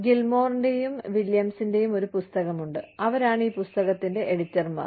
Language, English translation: Malayalam, There is a book, by Gilmore and Williams, who are the editors of this book